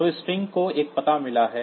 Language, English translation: Hindi, So, this string has got an address